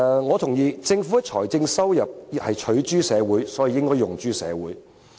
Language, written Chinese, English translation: Cantonese, 我同意政府的財政收入是取諸社會，所以應要用諸社會。, I agree that as the Governments fiscal revenue comes from society it should be spent for the purpose of benefiting society